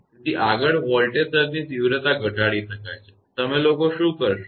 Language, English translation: Gujarati, So, further the magnitude of the voltage surge can be reduced; what they do